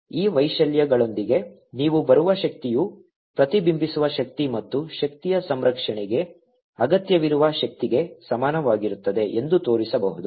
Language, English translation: Kannada, you can also show with these amplitudes that the energy coming in is equal to the energy reflected plus energy transmitted, which is required by energy conservation